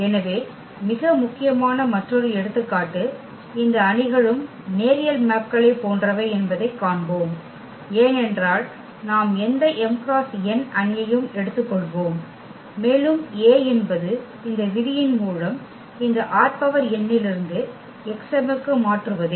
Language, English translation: Tamil, So, another very important example we will see that these matrices are also like linear maps because of the reason we take any m cross n matrix and A is the transformation from this R n to X m by this rule here that if we multiply A to this x; x is an element from this R n then we will get element a in R m